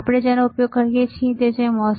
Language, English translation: Gujarati, What we are using are MOSFETs